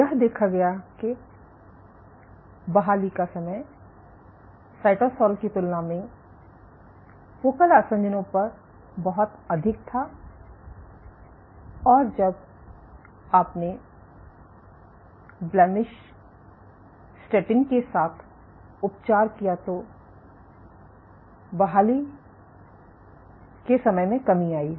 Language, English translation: Hindi, So, this recovery time was much higher at focal adhesions compared to cytosol, and when you treated with blemish statin the recovery time decreased